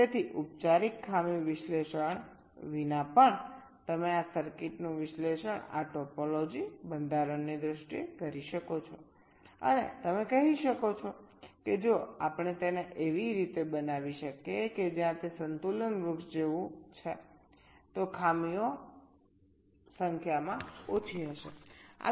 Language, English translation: Gujarati, so even without a formal glitch analysis, you can analyze this circuit in terms of this topology, the structure, and you can say that if we can structure it in a way where it is like a balance tree, glitches will be less in number